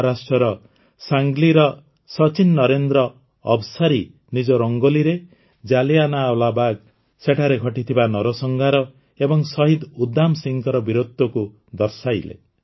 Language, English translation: Odia, Sachin Narendra Avsari ji of Sangli Maharashtra, in his Rangoli, has depicted Jallianwala Bagh, the massacre and the bravery of Shaheed Udham Singh